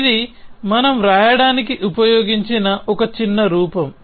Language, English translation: Telugu, It is just a short form that we have used to write in